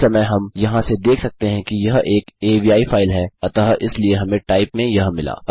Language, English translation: Hindi, At the moment we can see from here that it is an avi file so therefore thats what we get in type